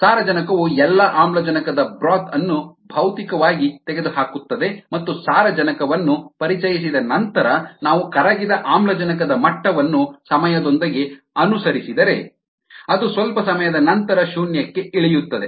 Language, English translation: Kannada, nitrogen physically strips the broth of all the oxygen and if we follow the dissolved oxygen level with time after nitrogen is introduced, then it drops down to zero after sometime